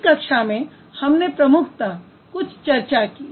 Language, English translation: Hindi, So we in this class, we primarily had some discussion